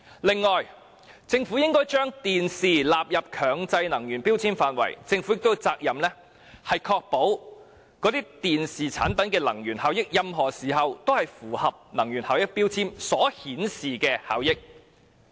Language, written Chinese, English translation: Cantonese, 此外，政府應該將電視機納入強制性標籤計劃的涵蓋範圍，並有責任確保電視產品的能源效益，在任何時候均符合能源標籤所顯示的效益。, In addition the Government should include TVs in MEELS and assume the responsibility of ensuring that the energy efficiency of TV products are up to the standard as stated in the energy labels at all times